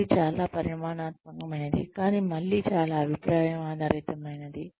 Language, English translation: Telugu, It is very quantitative, but again, very opinion based